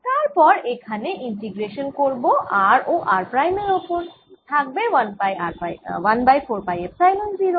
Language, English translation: Bengali, and then i integrate over v and v prime and to one over four phi epsilon zero